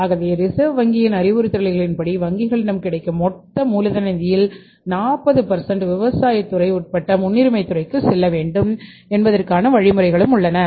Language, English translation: Tamil, So, as per the directions of RBI even the government's directions are also there that 40% of the total working capital finance available with the banks should go to the priority sector that to the including agriculture sector